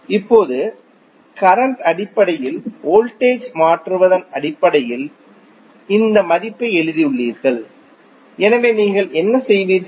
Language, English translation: Tamil, Now, you have written this value in terms of current converts them in terms of voltage, so what you will do